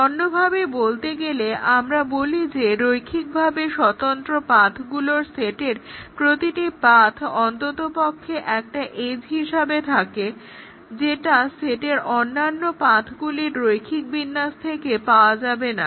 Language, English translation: Bengali, In other words, we say that each path in a linearly independent set of path as at least one edge which cannot be obtained by a linear combination of the other paths in the set